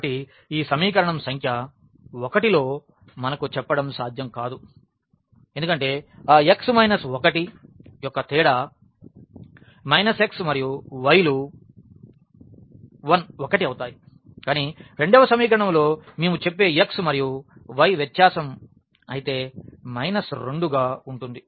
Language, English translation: Telugu, So, this is not possible because in equation number 1 we are telling that x minus 1 the difference of x and minus x and y will be 1 whereas, in the second equation we are telling that the difference of x and y will be minus 2